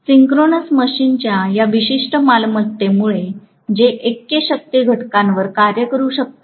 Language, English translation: Marathi, Because of this particular property of the synchronous machine which can work at unity power factor